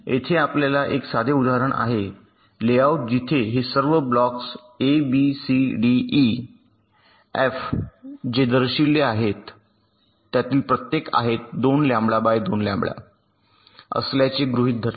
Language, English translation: Marathi, so here we have a simple example of a layout where all these blocks, a, d, c, d, e, f, whatever is shown, each of them, are assumed to be two lambda, by two lambda and minimum separation, lets assume to be one lambda